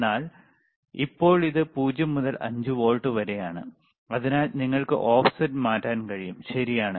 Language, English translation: Malayalam, bBut now it is from 0 to 5 volts so, you can change the offset, all right